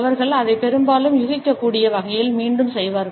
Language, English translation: Tamil, They shall often repeat it in a predictable manner